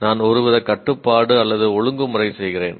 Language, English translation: Tamil, I now perform some kind of a control or regulation